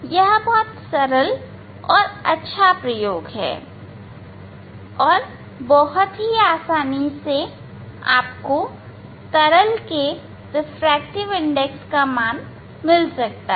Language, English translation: Hindi, Today I will demonstrate very simple experiment how to measure the refractive index of liquid